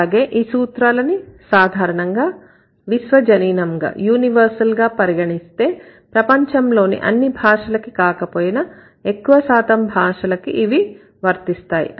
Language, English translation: Telugu, And these rules, they are generally considered as universals and they stand true for most of the world's languages if not all